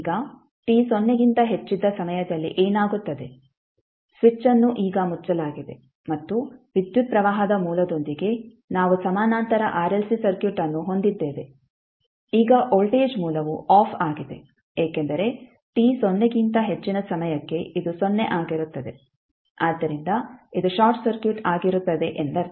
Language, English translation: Kannada, Now for time t greater than 0 what will happen the switch is now closed and we have Parallel RLC Circuit with a current source now voltage source is off because for time t greater then 0 this will be 0 so it means that it will be short circuit